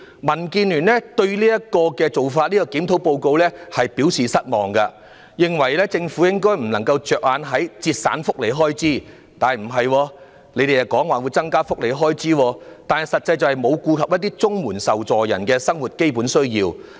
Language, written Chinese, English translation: Cantonese, 民建聯對於當年的檢討報告表示失望，認為政府不應只着眼於節省福利開支——實際上政府卻又表示會增加福利開支——而應顧及綜援受助人的基本生活需要。, DAB expresses disappointment for the review report back then and opines that the Government should not just focus on saving welfare expenditure―in fact the Government has instead stated it will increase welfare expenditure―but should take into account the basic livelihood needs of CSSA recipients